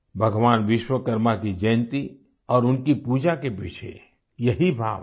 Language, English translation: Hindi, This is the very sentiment behind the birth anniversary of Bhagwan Vishwakarma and his worship